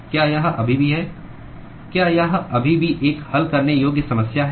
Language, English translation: Hindi, Is it still a solvable problem